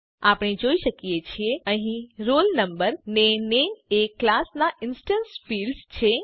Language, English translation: Gujarati, We can see that here roll no and name are the instance fields of this class